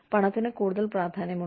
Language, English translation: Malayalam, Money is becoming increasingly important